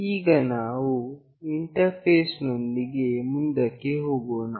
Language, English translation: Kannada, Now, we will go ahead with the interfacing